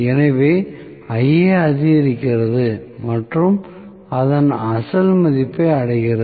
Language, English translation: Tamil, So, Ia increases and reaches its original value